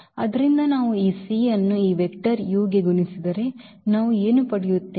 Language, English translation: Kannada, So, if we multiply are this c to this vector u then what we will get